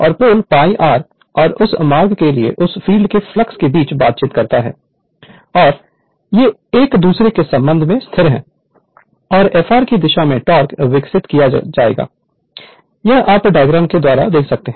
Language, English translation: Hindi, And that interaction between what you call that field flux for pole pi r and your what you call that route they are stationery with respect to each other and the torque will be developed in the direction of your f r if you see the diagram right